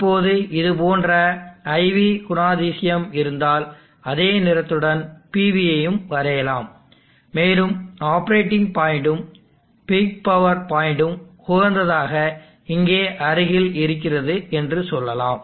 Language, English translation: Tamil, Now if you have a IV characteristic like that and I will draw the PV also with the same color, and say that the operating point the peak power point optimally should be near here